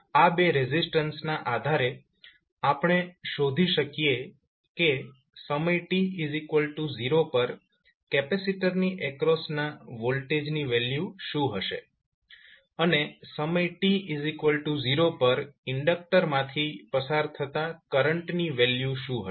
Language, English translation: Gujarati, So based on these 2 resistances we can find what will be the value of voltage across capacitor at time t is equal to 0 and what will be the value of current which is flowing through the inductor at time t is equal to 0